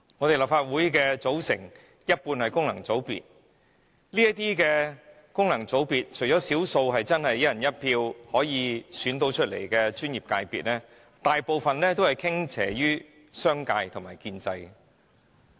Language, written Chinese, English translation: Cantonese, 立法會有一半議席是功能界別議席，當中除少數專業界別議席由"一人一票"選出外，其他大部分均向商界和建制傾斜。, Half of the seats of the Legislative Council are returned by functional constituencies . Among those seats most are tilted towards the commercial sector and the establishment with the exception of a few seats returned by professional sectors whose candidates are elected through one person one vote